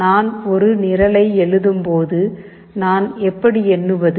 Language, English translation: Tamil, When I write a program, how do I count